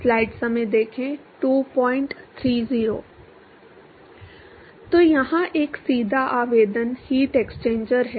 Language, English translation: Hindi, So, here a direct application is heat exchanger